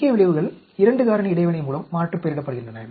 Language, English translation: Tamil, Main effects are confounding with 2 factor interaction